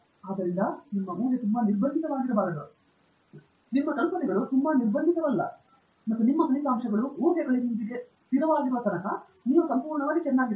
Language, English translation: Kannada, So, your assumption should not be too restrictive; as long as that’s not the case, as long as that’s the case that your assumptions are not too restrictive and as long as your results are consistent with the assumptions, then you are absolutely fine